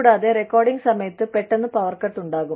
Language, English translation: Malayalam, And, during recordings, suddenly, there is the power cut